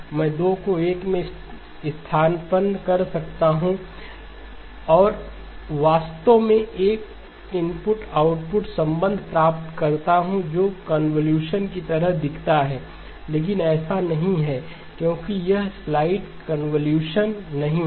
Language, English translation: Hindi, I can substitute 2 in 1 and actually get an input output relationship that looks like convolution, but it is not because it is not the sliding convolution